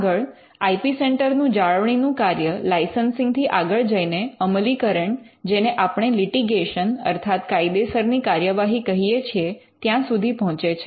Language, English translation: Gujarati, Now, the maintenance function of the IP centre goes beyond licensing; it also goes to enforcement what we call litigation